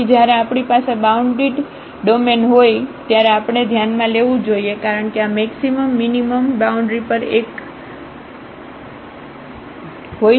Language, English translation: Gujarati, So, when we have the bounded domain we have to consider because this maximum minimum may exist at the boundaries